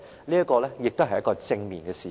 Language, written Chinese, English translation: Cantonese, 這亦是一件正面的事情。, This is also a positive development